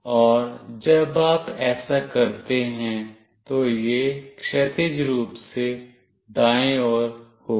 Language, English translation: Hindi, And when you do this, it will be horizontally right